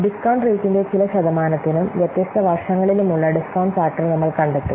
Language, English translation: Malayalam, So now let's see we will find out the discount factor for some percentage of the discount rates and for different years